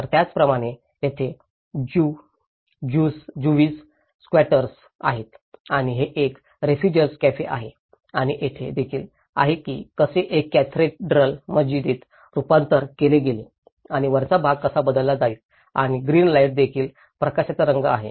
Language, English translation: Marathi, So, similarly, there is Jewish squatters and this is a refugee cafe and there is also how a cathedral has been converted into the mosque and how the top part is replaced and a green light which is also the colour of the light is also reflected